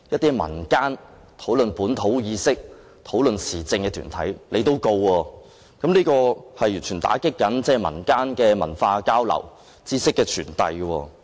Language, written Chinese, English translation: Cantonese, 是討論本土意識或時政的民間團體，這完全打擊民間的文化交流和知識傳遞。, Community groups that discuss the sense of indigenousness or current affairs . It is totally a blow to cultural exchanges and transmission of knowledge in the community